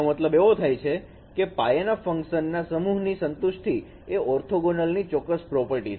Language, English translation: Gujarati, That means the set of basis functions it satisfies this particular property of orthogonarity